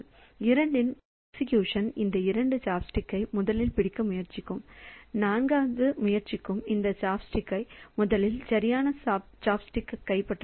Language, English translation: Tamil, So, in the execution of 2 so this 2 will try to grab this chopstick first and 4 will try to grab this chop stick first the right chopstick